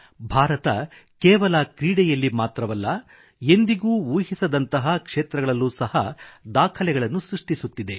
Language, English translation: Kannada, India is setting new records not just in the field of sports but also in hitherto uncharted areas